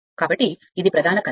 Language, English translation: Telugu, So, this is main current